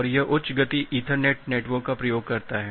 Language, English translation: Hindi, And that uses high speed ethernet networks